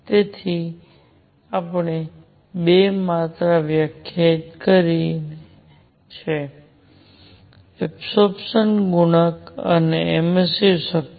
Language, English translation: Gujarati, So, we have defined 2 quantities; absorption coefficient and emissive power